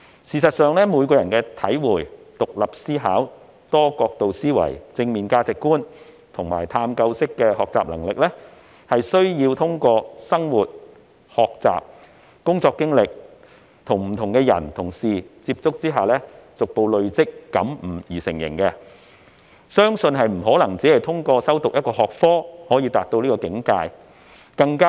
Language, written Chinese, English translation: Cantonese, 事實上，每個人的體會、獨立思考、多角度思維、正面價值觀及探究式學習能力，是需要通過生活、學習、工作經歷及與不同的人和事接觸後逐步累積和感悟而成，不可能只透過修讀一個學科便達到這個境界。, As a matter of fact each persons abilities to understand to think independently from multiple perspectives to develop positive values and to conduct inquiry - based learning were acquired by gradual accumulation and perception through life experience learning work experience and contact with different people and things . It is impossible to achieve this simply by taking one subject